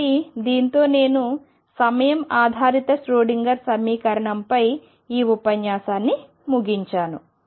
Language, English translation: Telugu, So, with this I conclude this lecture on time dependent Schroedinger equation